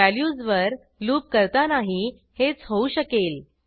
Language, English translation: Marathi, The loop on values works in a similar way